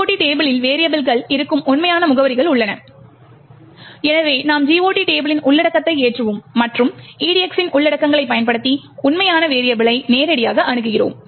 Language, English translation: Tamil, The GOT table contains the actual addresses where the variables are present and therefore we load the content of the GOT table and access the actual variable directly using the contents of the EDX